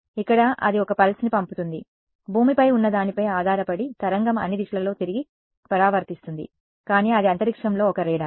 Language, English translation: Telugu, Here it sends a pulse of course, the wave is going to get reflected back in all directions depending on what is on the ground, but it is a radar in space